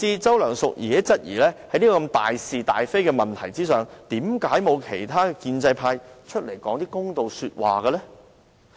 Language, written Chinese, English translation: Cantonese, 周梁淑治甚至質疑，在這大事大非的問題上，為何沒有其他建制派說些公道話？, Mrs Selina CHOW even queried why had no other members of the pro - establishment camp come forward to say something fair on this matter of cardinal importance?